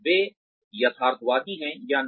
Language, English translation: Hindi, Whether, they are realistic or not